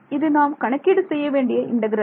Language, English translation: Tamil, That is the that is the integral I have to work out right